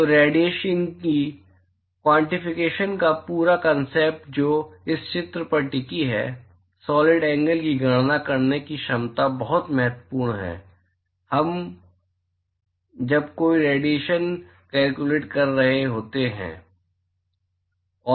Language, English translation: Hindi, So, the whole concept of quantification of radiation which hinges upon this picture, the ability to calculate the solid angle is very very important when we are doing any radiation calculation